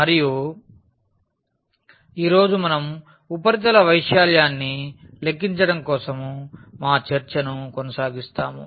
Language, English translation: Telugu, And today we will continue our discussion for computation of surface area